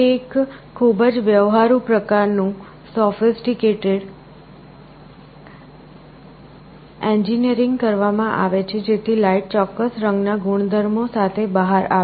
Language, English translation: Gujarati, It is a very sophisticated kind of engineering that is done so that light comes out with particular color properties